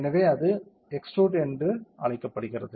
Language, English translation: Tamil, So, that is called extrusion